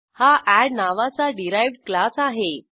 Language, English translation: Marathi, This is a derived class named add